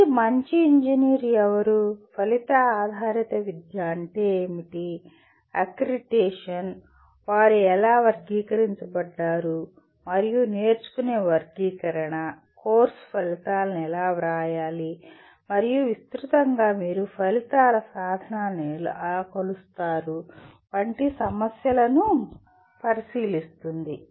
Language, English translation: Telugu, This will look at issues like who is a good engineer, what is outcome based education, the accreditation, outcomes themselves how they are classified and taxonomy of learning, how to write course outcomes and broadly how do you measure the attainment of outcomes